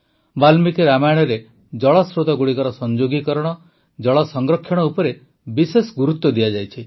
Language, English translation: Odia, In Valmiki Ramayana, special emphasis has been laid on water conservation, on connecting water sources